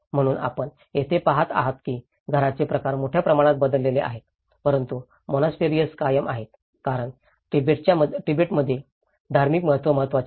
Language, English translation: Marathi, So, what we observe here is the house forms have changed drastically but monasteries has retained because the religious significance played an important role in the Tibetans